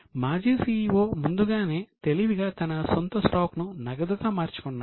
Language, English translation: Telugu, But the ex CEO was smart enough, he had already encased in his own stock before